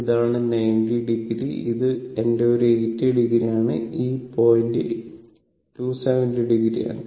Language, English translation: Malayalam, So, this is my 90 degree, this is my one 80 degree, and this point is 270 degree